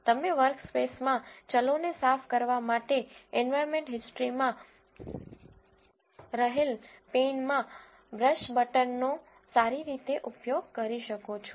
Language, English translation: Gujarati, You can very well use the brush button in the environmental history pan to clear the variables in the workspace